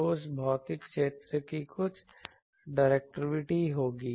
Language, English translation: Hindi, So, some factor of that physical area will be the directivity